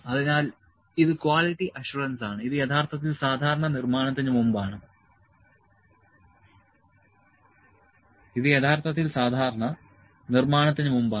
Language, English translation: Malayalam, So, this is quality assurance, this is actually generally before manufacturing